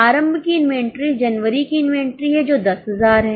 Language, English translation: Hindi, Opening is a January inventory which is 10,000